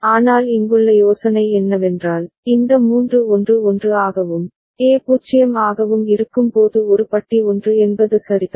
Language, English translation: Tamil, But the idea here is that the output will go high, when these three are 1 1 and A is 0 that is A bar is 1 all right